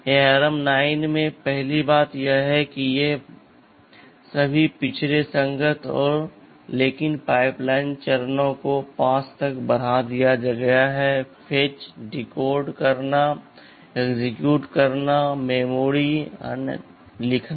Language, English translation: Hindi, Coming to ARM 9 first thing is that these are all backward compatible, but the pipeline stages announced are increased to 5 stages; fetch, decode, execute, memory, right write